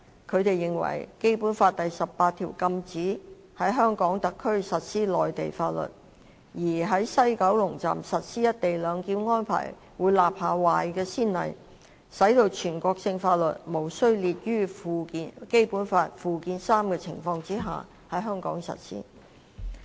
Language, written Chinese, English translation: Cantonese, 他們認為，《基本法》第十八條禁止在香港特區實施內地法律，而在西九龍站實施"一地兩檢"安排會立下壞先例，使全國性法律在無須列於《基本法》附件三的情況下在香港實施。, They consider that Article 18 of the Basic Law prohibits the application of Mainland laws in HKSAR and implementing the co - location arrangement at WKS would set a bad precedent for a national law to be implemented in Hong Kong without having to include it in Annex III to the Basic Law